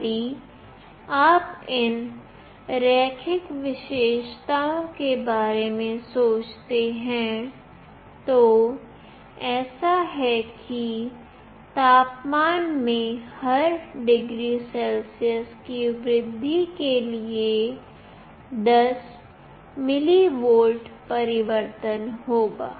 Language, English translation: Hindi, If you think of these linear characteristics, it is like there will be with 10 millivolt change for every degree Celsius increase in temperature